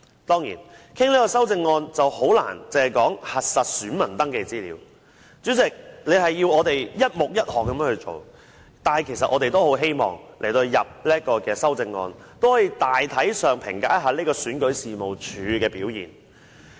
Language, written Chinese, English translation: Cantonese, 當然，在討論這項修正案時，很難只討論核實選民登記資料這方面，主席，你要求我們一目一項的討論，但其實我們在提出修正案時，也十分希望大體上評價一下選舉事務處的表現。, When discussing this amendment it is of course difficult to merely discuss the verification of voter registration particulars . Chairman you told us that our discussion should be on the basis of one amendment to one subhead . But in fact when we proposed the amendments we also want to make an overall assessment of REOs performance